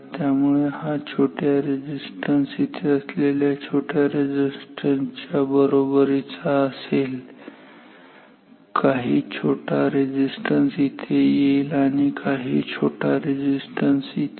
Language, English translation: Marathi, So, this will cause some small resistance being equivalent to some small resistance here and some small resistance here and some small resistance here